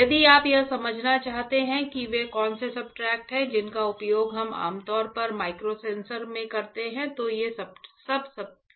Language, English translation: Hindi, If you want to understand what are the substrate that we generally use in microsensors ah, then these are the substrates